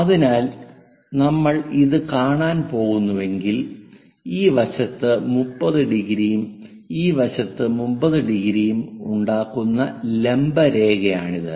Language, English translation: Malayalam, So, if we are going to look it this is the vertical line something like 30 degrees on that side and also on that side 30 degrees kind of representation we will see